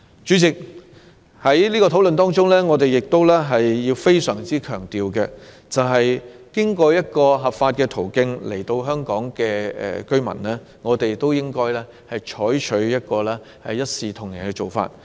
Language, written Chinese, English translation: Cantonese, 主席，在討論過程中，我們必須非常強調的一點，是經過合法途徑來港的居民，我們均應採取一視同仁的做法。, President during our discussion special emphasis should be put on the need to extend equal treatment to all people coming to settle in Hong Kong through lawful channels